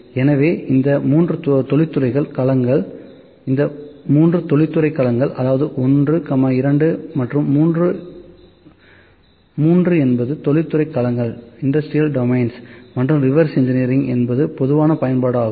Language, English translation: Tamil, So, these 3 are the industrial domains 1, 2 and 3; 3 are the industrial domains so, reverse engineering is the general application